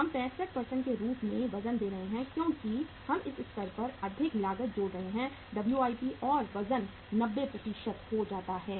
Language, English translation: Hindi, We are giving the weight as 65% because we are adding more cost at this stage Wip and weight becomes 90%